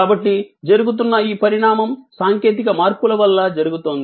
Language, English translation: Telugu, So, this evolution that is taking place is taking place due to technology changes